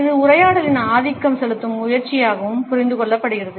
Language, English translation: Tamil, It is also understood as an attempt to dominate the conversation